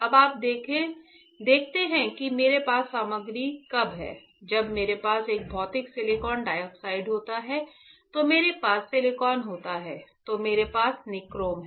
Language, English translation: Hindi, So, you see when I have a material right; when I have a material silicon dioxide I have silicon, then I have my nichrome right